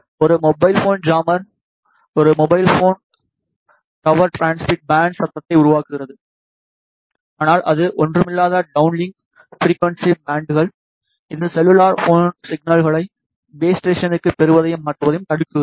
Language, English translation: Tamil, A mobile phone jammer generates noise in the transmit bands of a mobile phone tower which is nothing, but the downlink frequency bands, which prevents cellular phones from receiving and transferring signals to the base station